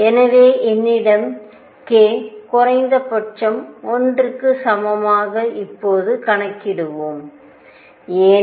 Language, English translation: Tamil, So, let us now enumerate if I have k minimum was equal to 1, why